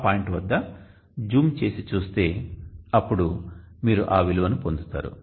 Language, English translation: Telugu, 3 let me just zoom at that point then you will get the value